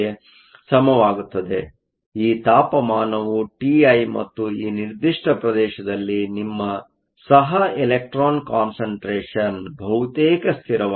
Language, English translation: Kannada, So, this temperature is t i and within this particular regime your co electron concentration is almost a constant